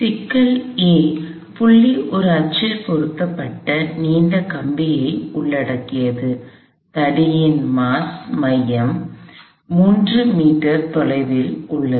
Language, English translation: Tamil, The problem involved a long rod which is fixed on an axle at a point A, the center of mass of the rod is 3 meters away